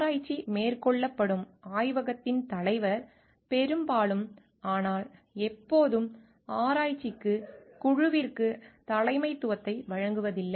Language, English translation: Tamil, The head of the laboratory where the research is carried out is most often, but not always provides the leadership to the research team